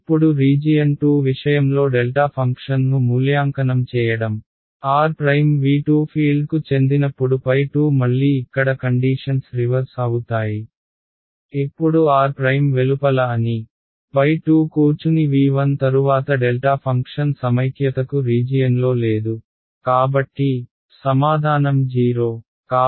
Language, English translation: Telugu, Now evaluating the delta function in the case of region 2, again the situations reverse to here when r prime belongs to V 2 the field is phi 2; and when r prime is outside of V 2 that sits in V 1 then that delta function is not there in a region of integration, so, its answer is 0